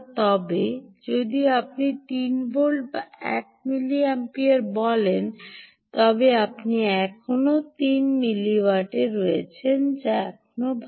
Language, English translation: Bengali, where, as if you say three volts and one milliampere, then you are still at three milliwatts, which is still fine, right